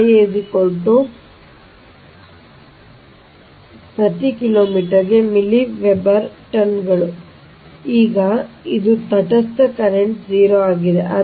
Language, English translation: Kannada, so milli weber tons per kilometre right now it is neutral current is zero